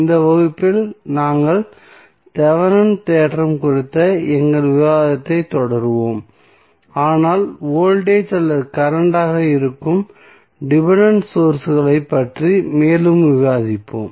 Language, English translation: Tamil, So, in this class we will continue our discussion on the Thevenin's theorem but we will discuss more about the dependent sources that may be the voltage or current